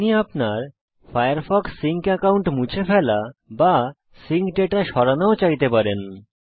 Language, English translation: Bengali, You may also want to delete your firefox sync account or clear your sync data